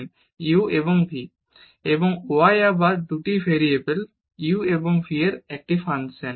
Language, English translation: Bengali, So, u and v and then we have here y is a function of again of 2 variables u and v